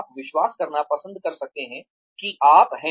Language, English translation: Hindi, You may like to believe, that you are